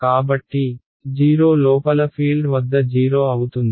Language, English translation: Telugu, So, the at the field inside a 0